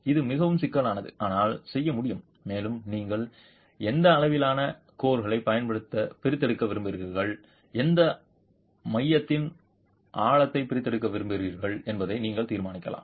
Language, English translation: Tamil, It is quite cumbersome but can be done and you can decide on what sizes of cores you want to extract and what depth of core you want to extract